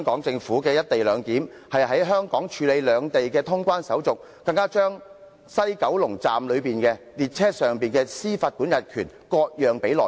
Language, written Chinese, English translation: Cantonese, 政府現時的"一地兩檢"方案，是在香港處理兩地的通關手續，更把西九龍站列車上的司法管轄權割讓予內地。, Under the co - location arrangement currently proposed by the Government clearance procedures of both Hong Kong and the Mainland will take place on Hong Kong soil . Moreover the jurisdiction over the trains at West Kowloon Station will be handed over to the Mainland Government